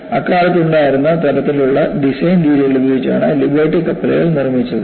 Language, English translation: Malayalam, Liberty ships were made with the kind of design practice they had at that time